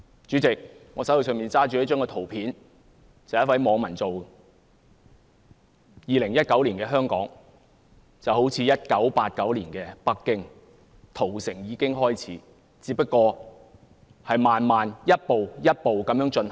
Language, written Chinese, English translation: Cantonese, 主席，我手上拿着的圖片是由一位網民製作的，顯示2019年的香港便好像1989年的北京般，屠城已經開始，只是慢慢逐步地進行。, President the picture I am holding is made by a netizen illustrating that the situation of Hong Kong in 2019 is similar to that in Beijing in 1989 . The massacre has already begun though it is carried out gradually